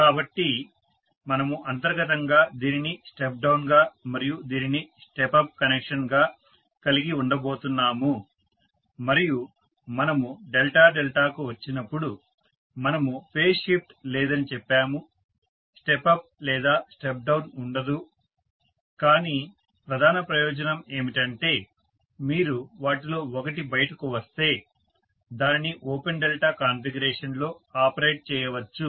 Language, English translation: Telugu, So we are going to have inherently this as step down and this as step up connection and when we came to delta, delta we said there is no phase shift there is no step up or step down but, the major advantage is you can operate this in open delta configuration if one of them conk out